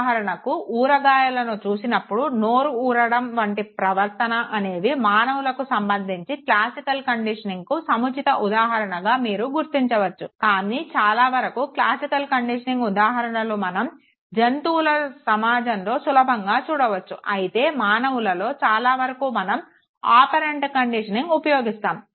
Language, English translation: Telugu, But there are very few things, say watering of mouth when you look at pickles or behavior like this which you realize can be suitable examples in case of human beings for classical conditioning but by and large classical conditioning examples are very readily easily available in the animal kingdom whereas human beings you will find mostly they use operant conditioning